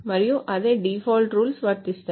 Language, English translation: Telugu, And the same default rules apply